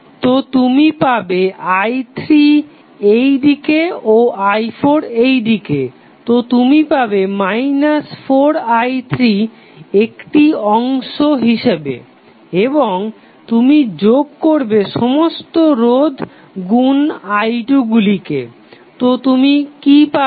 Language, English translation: Bengali, So, you will get minus sorry i 3 in this direction and i 4 in this direction so you will get minus 4i 3 as a component and then you will sum up all the resistances multiplied by i 2, so what you get